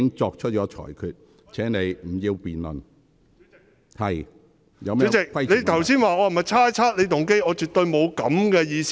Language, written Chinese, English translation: Cantonese, 主席，你剛才問我有否猜測你的動機，我絕對沒有這個意思。, President in response to your question just now about whether I had speculated on your motive I absolutely did not have such an intention